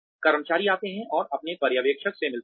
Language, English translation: Hindi, Employees come and meet their supervisors